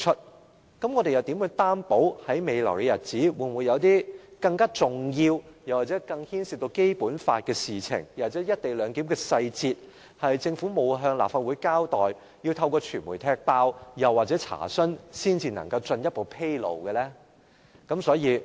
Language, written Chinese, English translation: Cantonese, 那麼，我們又如何確保在未來的日子中，會否有些更重要或更牽涉《基本法》的事情，又或是一些關乎"一地兩檢"的細節，是政府未曾向立法會交代，我們是要透過傳媒揭發或查詢，才可以獲得進一步披露呢？, In that case how can we be sure that in the future we will not come across anything more important and more related to the Basic Law or any operational technicalities of the co - location arrangement which the Government has withheld from the Legislative Council and which are disclosed only after media revelation and enquiries?